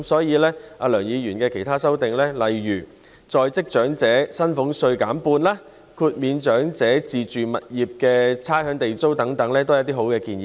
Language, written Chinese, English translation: Cantonese, 而梁議員的其他修訂，例如將在職長者薪俸稅減半，豁免長者就自住物業繳付差餉和地租等，都是好的建議。, Other proposals in Mr LEUNGs amendment such as reducing by half the salaries tax on the working elderly and exempting elderly retirees from the payment of rates for their self - occupied properties are also good suggestions